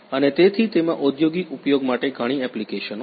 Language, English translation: Gujarati, And so it has lot of applications for industrial uses